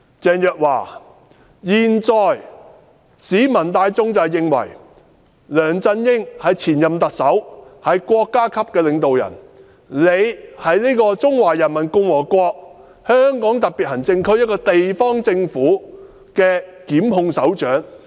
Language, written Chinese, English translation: Cantonese, 鄭若驊，現在市民大眾認為，梁振英是前任特首，是國家領導人，而司長是中華人民共和國香港特別行政區這個地方政府負責檢控的首長。, Is it right? . Teresa CHENG this is the view members of the public now hold LEUNG Chun - ying is the former Chief Executive and a state leader whereas the Secretary for Justice is the head responsible for prosecutions in the local government of the Hong Kong Special Administrative Region of the Peoples Republic of China